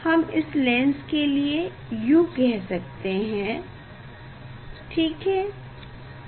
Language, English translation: Hindi, this is we can say, this is the u ok, for this lens